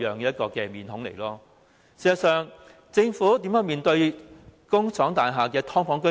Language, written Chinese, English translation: Cantonese, 事實上，政府如何對待工廠大廈的"劏房"居民？, As a matter of fact how does the Government treat residents of subdivided units in factory buildings?